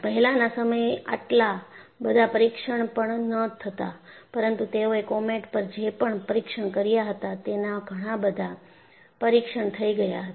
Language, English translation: Gujarati, In those times, they were not doing even that many tests,but the test that they had conducted on comet were quite many